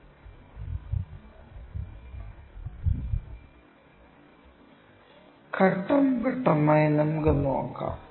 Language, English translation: Malayalam, Let us see that step by step